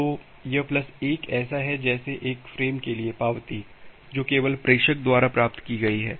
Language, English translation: Hindi, So, this plus 1 is like that the acknowledgement for one frame which has just received by the sender